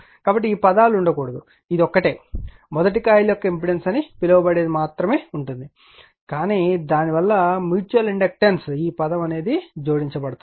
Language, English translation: Telugu, So, these terms should not be there, it will be the only there you are what you call the impedance of the coil 1, but due to that you are what you call mutual inductance this term is added